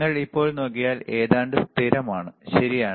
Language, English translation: Malayalam, If you see now is almost constant, right